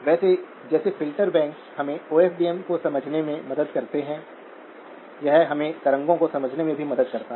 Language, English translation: Hindi, By the way, just like filter banks help us to understand OFDM, it also helps us understand wavelets